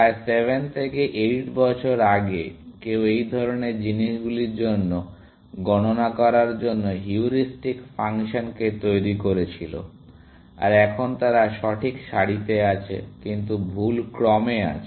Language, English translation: Bengali, About 7 to 8 years ago, somebody enhanced the heuristic function to count for such things, that they are in the correct row, but in the wrong order